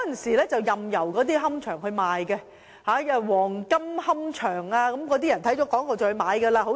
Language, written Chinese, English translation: Cantonese, 以往任由龕場賣廣告，黃金龕場便是其中一個例子。, In the past columbaria could post advertisements at will . One of the examples is the golden columbarium